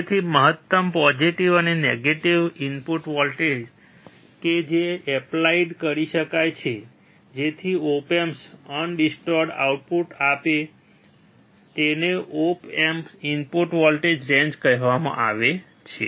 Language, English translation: Gujarati, So, the maximum positive and negative input voltage that can be applied so that op amp gives undistorted output is called input voltage range of the op amp